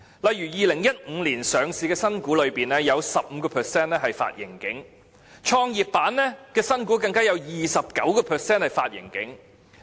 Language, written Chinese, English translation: Cantonese, 例如在2015年上市的新股中，有 15% 發盈警，創業板的新股更有 29% 發盈警。, For example 15 % of the new shares listed in 2015 and 29 % of those listed on the Growth Enterprise Market in the same year have issued a profit warning